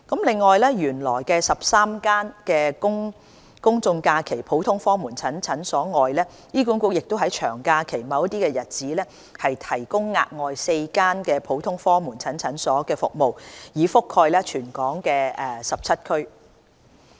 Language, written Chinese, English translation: Cantonese, 此外，除原來13間公眾假期普通科門診診所外，醫管局亦在長假期某些日子提供額外4間普通科門診診所的服務，以覆蓋全港17區。, In addition to the existing 13 GOPCs providing services on public holidays four GOPCs will also provide services on particular days during long holidays covering 17 districts in Hong Kong